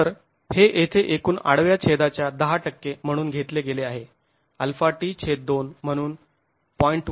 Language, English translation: Marathi, So, this is taken here as about 10% of the total cross section, alpha delta t by 2 as 0